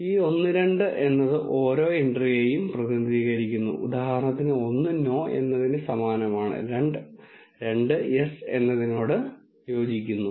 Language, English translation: Malayalam, And this one two represents each entry for example one corresponds to no and two corresponds to yes and so on